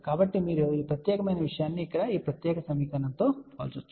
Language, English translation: Telugu, So, from here you compare this particular thing with this particular equation over here